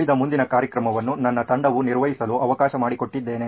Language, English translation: Kannada, I let the rest of the show being handled by my team here